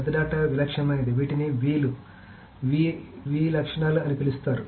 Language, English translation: Telugu, So the big data has this typical properties which are called the V's, the V properties